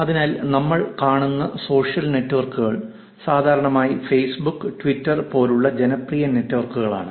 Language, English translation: Malayalam, So, until now, the social networks that we are seeing is generally popular networks like Facebook, Twitter and these are called online social networks